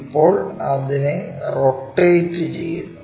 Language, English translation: Malayalam, Now, this has to be rotated